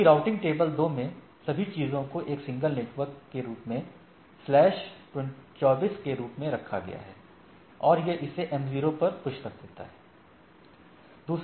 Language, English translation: Hindi, Whereas, in the routing table 2, I identify that all those things as a single network as a slash 24 and it push it to the m0